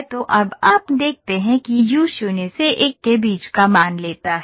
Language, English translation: Hindi, So now you see u takes a value between 0 to 1